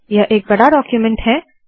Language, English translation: Hindi, Its a huge document